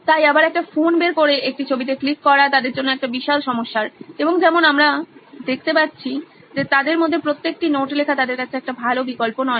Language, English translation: Bengali, So again getting a phone out in between get clicking a picture is a huge problem for them and as we see taking down each and every note for them is also not an option is what they feel according to them